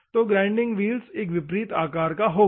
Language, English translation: Hindi, So, the grinding wheel will be a converse shape